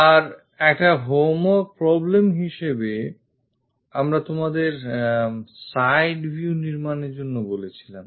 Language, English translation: Bengali, And as a homework problem we asked you to construct this side view